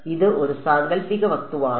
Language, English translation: Malayalam, It is a hypothetical object